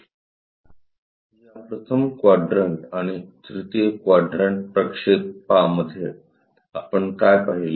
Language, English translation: Marathi, In these 1st and 3rd quadrant projections, what we have seen